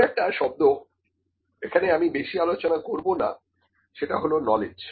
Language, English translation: Bengali, There is another term that I will not discuss more that is the knowledge